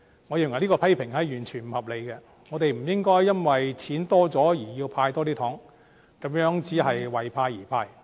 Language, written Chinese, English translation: Cantonese, 我認為這種批評完全不合理，我們不應該因為盈餘增加而增加"派糖"，這樣只是為派而派。, We should not give out more sweeteners when there is more surplus as this will only be giving out sweeteners for no significant meaning